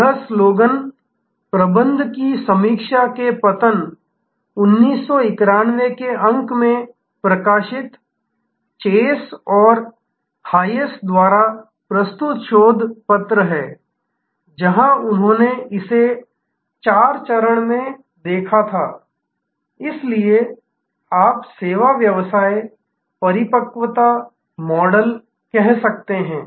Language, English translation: Hindi, This is the research paper by chase and hayes published in the fall 1991 issue of Sloan management review, where they had looked at this four stage of, so this is the you can say service business maturity model